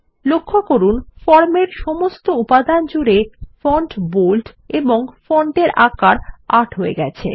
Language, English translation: Bengali, Notice that the font has changed to Bold and size 8 across the form now